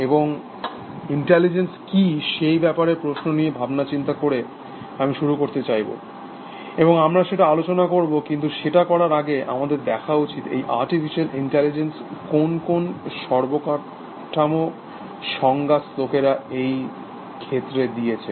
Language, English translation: Bengali, And I wanted to start thinking about question of what is intelligence, and we will discuss that, but before we do that, let us just look at, what are the classical definitions that people have given, for this field of artificial intelligence